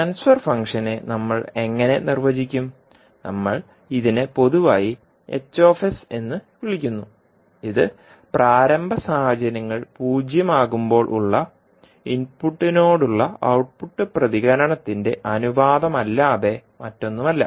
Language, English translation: Malayalam, So, how we will define the transfer function transfer function, we generally call it as H s, which is nothing but the ratio of output response to the input excitation with all initial conditions as zero